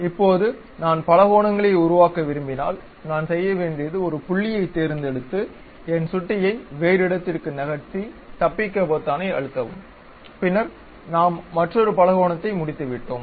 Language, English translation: Tamil, Now, if I would like to construct multiple polygons, what I have to do is pick the point, just move my mouse to some other location, press Escape button, then we we are done with that another polygon